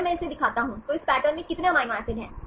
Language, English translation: Hindi, If I show this one, how many amino acids in this pattern